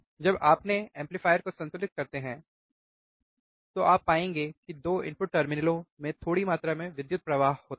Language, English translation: Hindi, When you balance your amplifier, then you will find that there is a small amount of current flowing into the 2 input terminals